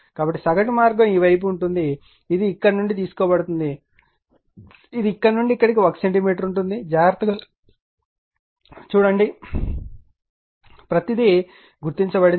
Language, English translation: Telugu, So, mean path will be this side it will take from here it will be here to here it is 1 centimeter see carefully everything is marked